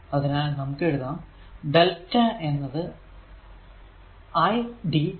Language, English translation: Malayalam, So, here we are writing delta eq is equal to i into dt right